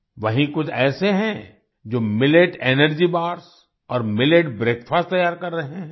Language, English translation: Hindi, There are some who are making Millet Energy Bars, and Millet Breakfasts